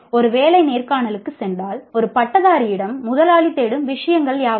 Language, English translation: Tamil, As a graduate, if you go for a job interview, what are the things that the employer is looking for